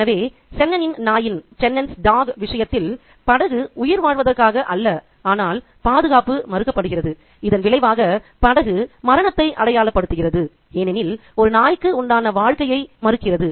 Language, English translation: Tamil, So, the boat in the case of Chenon's dog's case stands not for survival but denial of security and consequently the boat comes to symbolize death itself because it refuses life